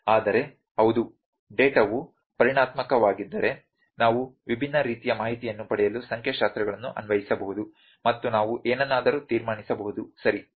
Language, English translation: Kannada, But yes if the data is quantitative we can apply statistics to get different kind of information and we can also conclude something, ok